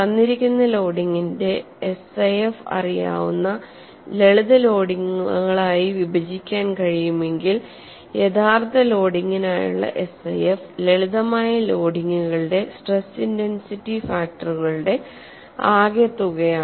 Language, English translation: Malayalam, If a given loading can be split into simpler loadings for which SIF's are known, then SIF for the original loading is simply the arithmetic sum of stress intensity factors for simpler loadings